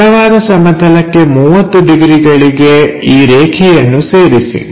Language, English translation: Kannada, So, 30 degrees to that horizontal plane, connect this line